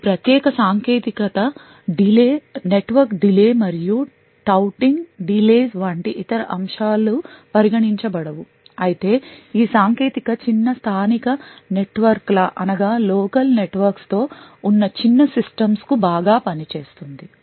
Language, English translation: Telugu, While this particular technique assumes that other factors like network delays and touting delays and so on are not considered, this technique would work quite well for small systems with small local networks